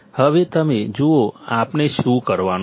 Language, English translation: Gujarati, Now, you see what we have to do